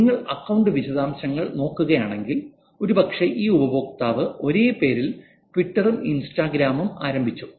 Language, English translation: Malayalam, If you look at the account details, when probably this user started, both Twitter and Instagram was just the same